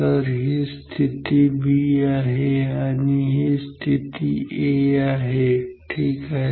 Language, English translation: Marathi, So, this is the position b this is position a ok